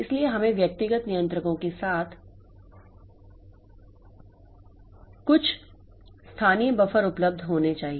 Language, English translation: Hindi, So, that is why we should have some local buffer available with individual controllers